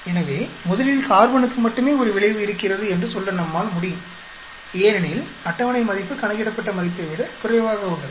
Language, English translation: Tamil, So, on first hand we can say only the carbon has an effect because the table value is less than the calculated value